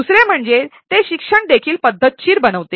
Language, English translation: Marathi, Secondly, it makes the teaching also systematic